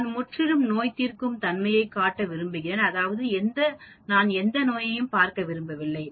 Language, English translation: Tamil, I want to show completely curative, that means, I do not want to see any disease